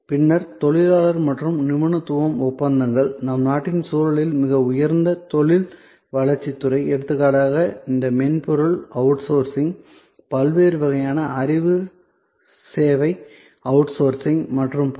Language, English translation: Tamil, Then, labor and expertise contracts highly, a high growth industry area in the context of our country, for example, all these software outsourcing, different kind of knowledge service outsourcing and so on